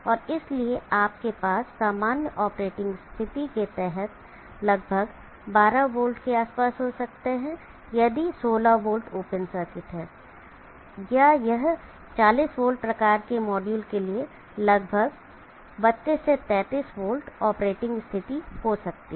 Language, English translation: Hindi, And therefore, you may have around 12v under normal operating condition if it is 60v open circuit or it may be around 32 to 33v operating condition for a 40v type of module